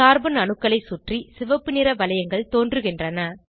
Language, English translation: Tamil, Red colored rings appear around the carbon atoms